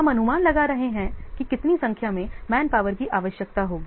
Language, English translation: Hindi, We are estimating how many numbers of manpower will be required